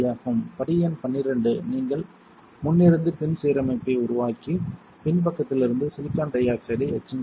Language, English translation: Tamil, Step number12 is you create the front to back alignment and etch silicon dioxide from the backside followed by silicon